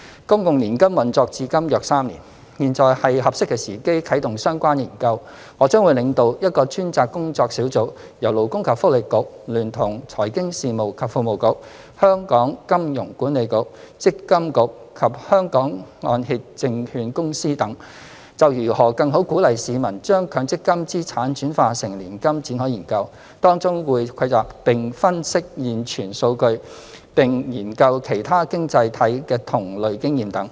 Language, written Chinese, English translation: Cantonese, 公共年金運作至今約3年，現在是合適的時機啟動相關研究，我將會領導一個專責工作小組，由勞工及福利局聯同財經事務及庫務局、香港金融管理局、積金局及香港按揭證券公司等，就如何更好鼓勵市民將強積金資產轉化成年金展開研究，當中會蒐集並分析現存數據，並研究其他經濟體的同類經驗等。, It is now the opportune time to launch the said study . I will lead a dedicated working group to conduct research on the subject of better encouraging the public to convert their assets under MPF into an annuity with the joint participation of the Labour and Welfare Bureau the Financial Services and the Treasury Bureau the Hong Kong Monetary Authority MPFA and the Hong Kong Mortgage Corporation etc . The working group will gather and analyse data available and study similar experience in other economies